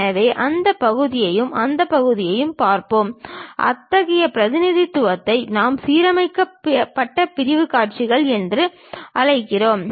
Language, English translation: Tamil, So, that part and that part we will see; such kind of representation we call aligned section views